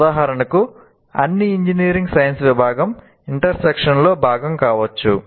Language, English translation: Telugu, For example, all of engineering science part can be brought here